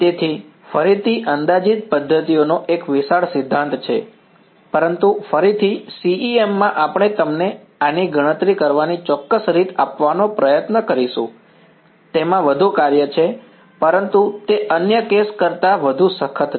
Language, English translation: Gujarati, So, again there is a vast theory of approximate methods, but again in CEM what we will try to do is give you an exact way of calculating this, there is more it is more work, but it is a more rigorous than in the other case